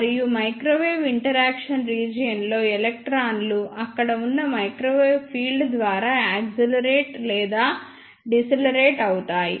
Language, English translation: Telugu, And in microwave interaction region electrons are accelerated or decelerated by the microwave field present there